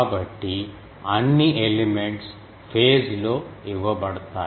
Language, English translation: Telugu, So, all elements are fed in phase